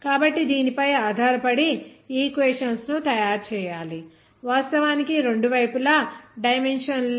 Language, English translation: Telugu, So in that is based on which have to make the equations, of course, the dimensionless on both sides